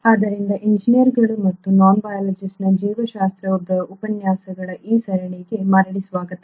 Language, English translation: Kannada, So welcome back to these series of lectures on biology for engineers and non biologists